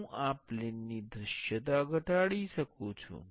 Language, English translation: Gujarati, I can decrease the visibility of this plane